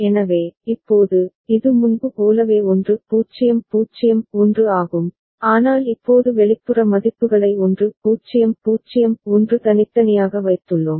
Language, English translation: Tamil, So, now, it is 1 0 0 1 like before, but we have now put external values 1 0 0 1 separately